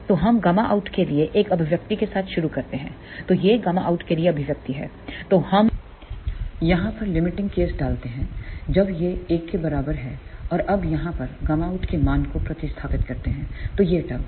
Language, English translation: Hindi, So, let us start with an expression for gamma out so, this is the expression for gamma out, we put the limiting case when this is equal to 1 and now substituting the value of gamma out over here so, this is the term